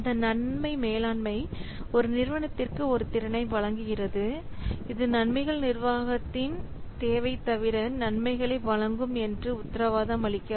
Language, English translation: Tamil, So this benefit management, it provides an organization with a capability that does not guarantee that this will provide benefits in this, need for benefits management